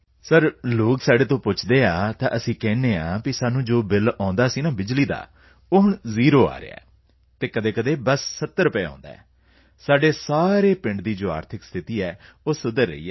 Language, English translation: Punjabi, Sir, when people ask us, we say that whatever bill we used to get, that is now zero and sometimes it comes to 70 rupees, but the economic condition in our entire village is improving